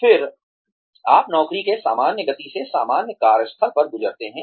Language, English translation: Hindi, Then, you go through the job, at normal workplace, at a normal speed